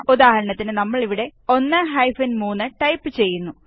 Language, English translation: Malayalam, For eg we will type 1 3 here